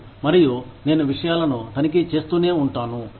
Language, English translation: Telugu, And, I can keep checking things off